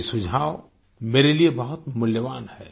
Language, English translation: Hindi, These suggestions are very valuable for me